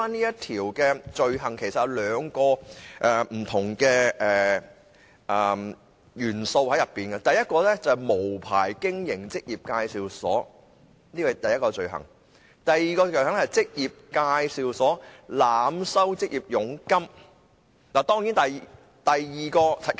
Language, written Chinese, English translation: Cantonese, 有關罪行其實包含兩個元素：第一項是無牌經營職業介紹所；第二項是職業介紹所濫收求職者佣金。, There are actually two offences in question unlicensed operation of employment agencies and overcharging jobseekers by employment agencies both being infringement upon the rights of foreign domestic helpers